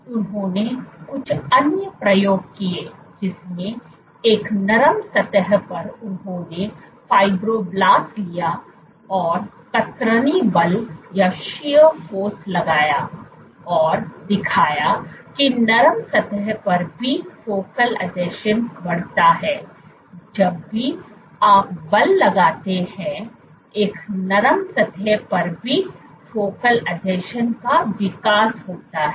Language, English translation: Hindi, So, they did some other experiments in which on a soft surface, they took fibroblasts and exerted shear force and showed that on soft surface also focal adhesion grew; whenever you exert force, there was a growth of focal adhesion even on a soft surface